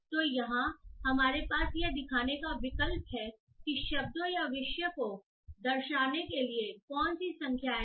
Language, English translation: Hindi, So here we have an option to show what are the number of words per topic to be shown